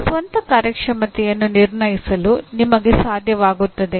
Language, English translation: Kannada, You are able to judge your own performance